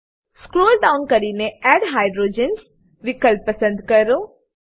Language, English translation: Gujarati, Scroll down to add hydrogens option and click on it